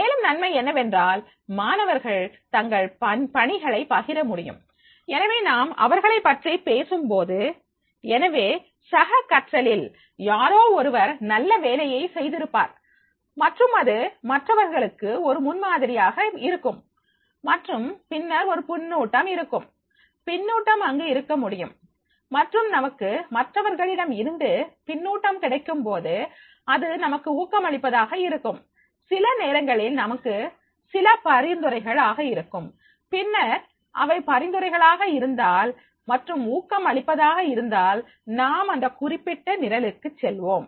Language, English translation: Tamil, Therefore, when we talk about the peer learning, so in the peer learning, someone has done a good work and that can be a role model for the others and then there will be the feedback, feedback can be there and when we receive the feedback from others then we can it can be motivating also sometimes it is the somewhat suggesting also and then if it is suggesting and motivating then in that case we can go for a particular program